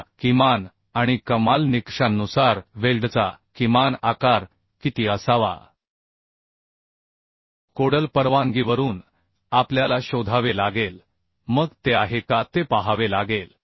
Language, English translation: Marathi, Now from minimum and maximum criteria means what should be the minimum size of weld that from the caudal permission we have to find out